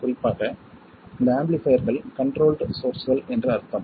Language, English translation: Tamil, In particular that means that these amplifiers are controlled sources